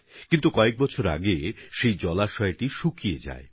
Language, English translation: Bengali, But many years ago, the source dried up